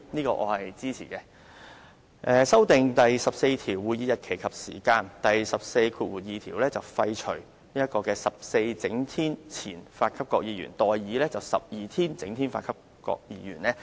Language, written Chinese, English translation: Cantonese, 他亦建議修訂第14條，在第142條廢除 "14 整天前發給各議員"而代以 "12 整天前發給各議員"。, He also proposes to amend RoP 14 so that 14 clear days before the day of the meeting in RoP 142 will be repealed and substituted by 12 clear days before the day of the meeting